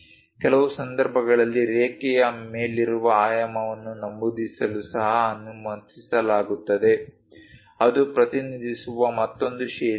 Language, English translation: Kannada, In certain cases, it is also allowed to mention dimension above the line that is another style of representing